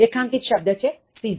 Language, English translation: Gujarati, Underlined word scissor